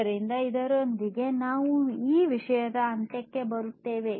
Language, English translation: Kannada, So, with this we come to an end of this thing